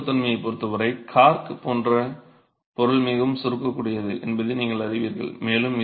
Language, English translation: Tamil, But as far as compressibility is concerned, you know that a material like cork is more compressible, right